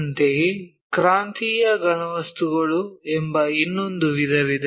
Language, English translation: Kannada, Similarly, there is another set called solids of revolution